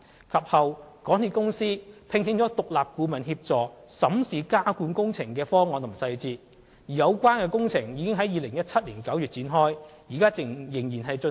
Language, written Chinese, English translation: Cantonese, 及後，港鐵公司聘請了獨立顧問協助審視加固工程的方案及細節，而有關工程已於2017年9月展開，現時仍在進行。, Afterwards MTRCL engaged an independent consultant to assist in examining the method and technicalities of the underpinning works . The underpinning works have been undertaken since September 2017 and are still in progress